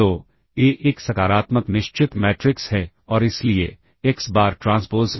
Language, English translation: Hindi, So, A is a positive definite matrix and therefore, hence xBar transpose